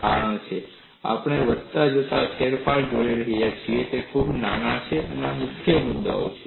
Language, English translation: Gujarati, The reason is we are looking at incremental changes which are very small; this is the key point